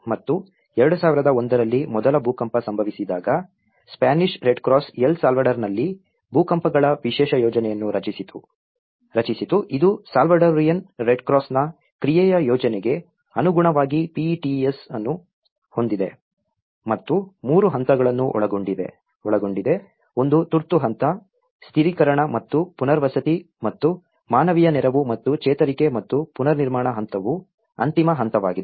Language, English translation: Kannada, And, when the first earthquake hit in 2001, the Spanish Red Cross has created the special plan for earthquakes in El Salvador which has PETES in accordance with the plan of action of Salvadorian Red Cross and included three phases, one is the emergency phase, the stabilization and the rehabilitation and humanitarian aid and recovery and the reconstruction phase which is the final phase